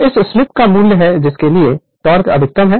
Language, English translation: Hindi, So, this is the value of slip for which the torque is maximum